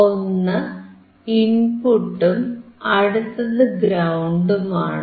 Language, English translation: Malayalam, So, one is input another one is ground